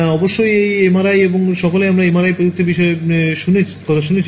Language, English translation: Bengali, So, one is of course, MRI we all have heard of the wonders of MRI technology right